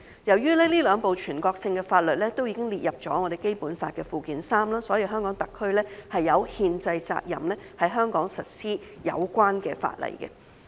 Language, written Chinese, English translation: Cantonese, 由於這兩部全國性法律已經列入《基本法》附件三，香港特區有憲制責任在香港實施有關法例。, Since these two national laws have been listed in Annex III to the Basic Law the Hong Kong Special Administrative Region HKSAR has the constitutional responsibility to implement relevant legislation in Hong Kong